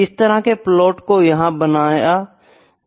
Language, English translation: Hindi, So, those kinds of plots can be made here